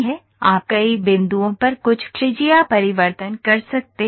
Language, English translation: Hindi, You can have some radius change at several points